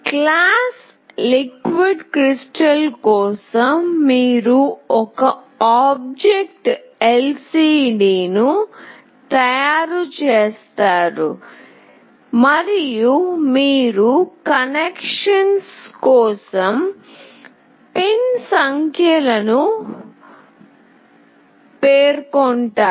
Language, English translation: Telugu, For class LiquidCrystal, you make an object lcd and you just specify the pin numbers for connection